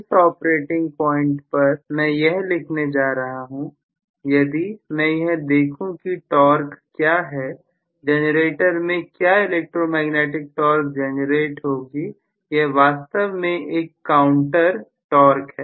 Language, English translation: Hindi, At that particular operating point and I am going to also write, if I look at what is the torque, electromagnetic torque which will be generated within the generator, which is actually a counter torque